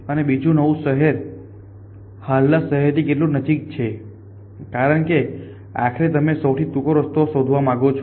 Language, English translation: Gujarati, And secondly how close that new city is to the current city, because eventually you want to find shortest pass